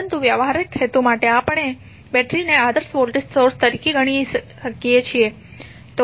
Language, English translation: Gujarati, But for a practical purpose we can consider battery as ideal voltage source